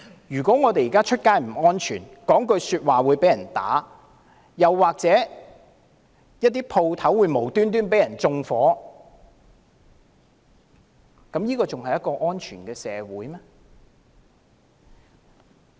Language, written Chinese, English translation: Cantonese, 如果現時走在街上也不安全，說一句話也可能會被毆打，又或店鋪會無故被縱火，這還是一個安全的社會嗎？, Would it still be a safe society if it will not be safe for people to walk in the street people may be beaten up for what they have said or a shop may be set on fire for no reason at all?